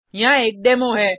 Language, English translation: Hindi, Here is a demo